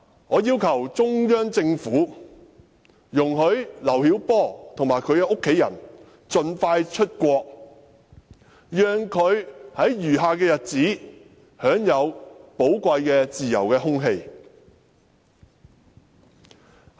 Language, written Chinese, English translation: Cantonese, 我要求中央政府容許劉曉波及其家人盡快出國，讓他在餘下的日子裏享受寶貴的自由空氣。, I request the Central Government to allow LIU Xiaobo and his family members to go abroad as soon as possible so that LIU Xiaobo can enjoy the precious free air in his remaining days